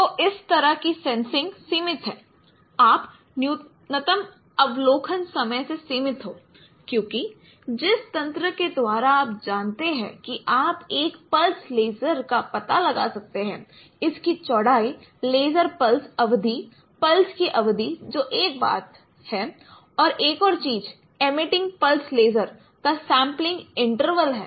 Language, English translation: Hindi, So there is a limitation of this kind of sensing you are limited by the minimum observation time because the the mechanism by which now you can detect a pulse laser it has its it has its width laser, the duration duration of the pulse that is one thing and another thing is the sampling intervals of emitting pulse laser